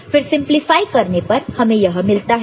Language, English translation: Hindi, So, if you simplify then you get this one